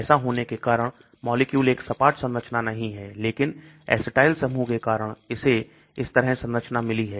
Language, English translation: Hindi, Because of this what happens, the molecule is not a flat structure but it has got structure like this so because of the acetyl groups